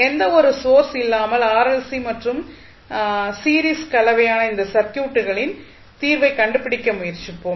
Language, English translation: Tamil, We will try to find the solution of those circuits which are series combination of r, l and c without any source